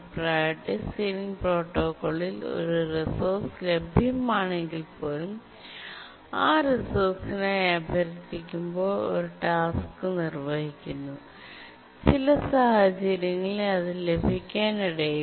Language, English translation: Malayalam, But in the Priority Sealing Protocol, we'll see that even if a resource is available, a task executing, requesting that resource may not get it under some circumstances